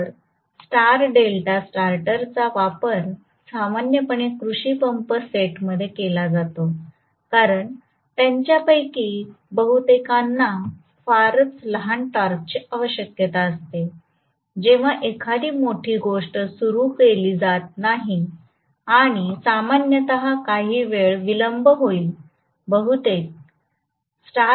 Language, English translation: Marathi, So, star delta starters are very commonly used in agricultural pump sets because, most of them require very very small torque during the you know time of starting not a big deal and generally, there will be a time delay, it will be in star for probably 0